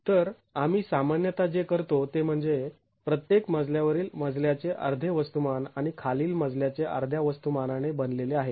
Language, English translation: Marathi, So, what we typically do is every flow is considered to be composed of half the mass of the story above and half the mass of the story below